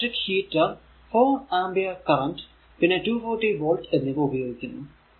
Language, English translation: Malayalam, An electric heater draws 4 ampere and at 240 volt